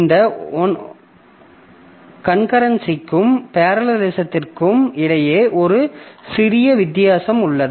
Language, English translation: Tamil, So, there is a slight difference between this concurrency and parallelism that we must understand